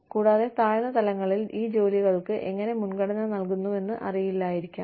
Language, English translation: Malayalam, And, may not know, how these jobs are prioritized, at the lower levels